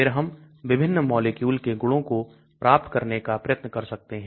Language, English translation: Hindi, Then we can try to get properties of various molecules